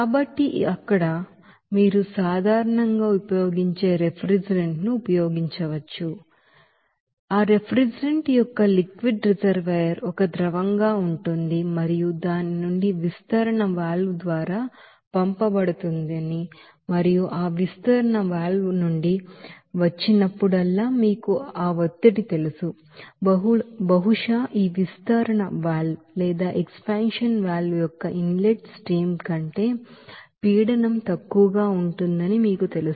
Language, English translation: Telugu, So liquid reservoir of that refrigerant as a liquid it will be there and from that it is sent to sent through the expansion valve and whenever it is coming from that expansion valve at a certain you know that pressure, maybe you know that the pressure will be lower than that, you know, that inlet stream of this expansion valve